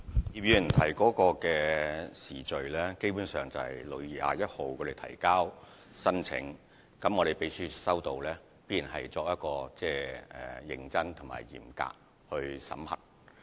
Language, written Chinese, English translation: Cantonese, 葉議員問及的時序，基本上是青總在6月21日提交申請，而秘書處在接獲申請後必然會認真和嚴格地審核。, Regarding Mr IPs question about the timing HKACA submitted on 21 June the application concerned which was then vetted by the Secretariat in a serious and stringent way